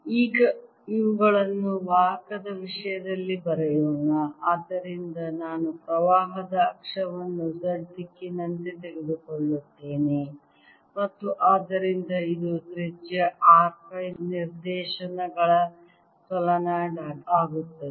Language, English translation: Kannada, so i'll take the axis of the current to be the z direction and therefore this becomes solenoid of radius r, phi directions